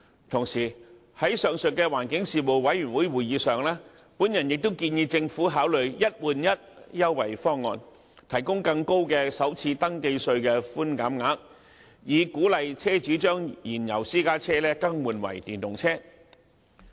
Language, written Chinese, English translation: Cantonese, 同時，在上述的環境事務委員會會議上，我亦建議政府考慮"一換一"優惠方案，提供更高的首次登記稅的寬減額，以鼓勵車主將燃油私家車更換為電動車。, In the meantime I also proposed at the aforesaid meeting of the Panel on Environmental Affairs that the Government might consider the option of offering financial concessions for one - for - one replacement and raise the cap on first registration tax concession in a bid to encourage car owners to replace their fuel - engined private cars with EVs